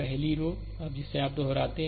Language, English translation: Hindi, First 2 row you repeat